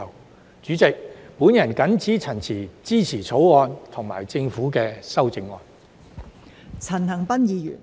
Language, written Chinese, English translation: Cantonese, 代理主席，我謹此陳辭，支持《條例草案》及政府的修正案。, With these remarks Deputy President I support the Bill and the Governments amendments